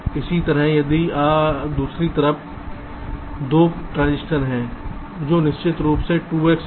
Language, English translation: Hindi, similarly, on the other side there are two transistors which are of course two x